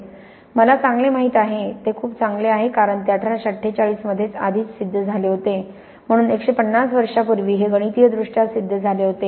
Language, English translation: Marathi, ”, well I know that very well because it was proved already in 1848, so more than 150 years ago this was proved mathematically